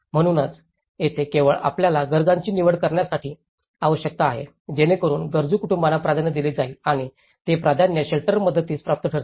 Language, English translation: Marathi, So, that is where you need to select only the needy is to given the priority for the neediest households and would be eligible for the shelter assistance with priority